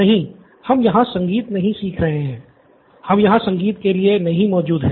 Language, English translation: Hindi, No we are not learning music here, we are not here for music lessons